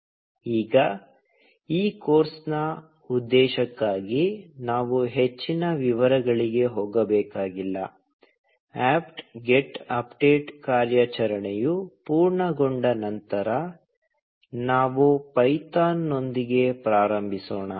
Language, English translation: Kannada, Now, we do not need to go into more details for the purpose of this course; once the apt get update operation is complete, let us get started with python